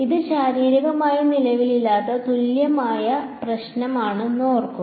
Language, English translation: Malayalam, Remember this is a equivalent problem this does not physically exist